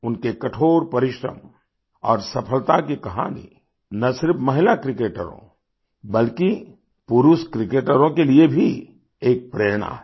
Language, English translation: Hindi, The story of her perseverance and success is an inspiration not just for women cricketers but for men cricketers too